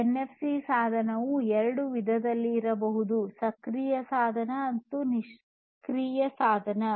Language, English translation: Kannada, And a NFC device can be of any two types, active device or passive device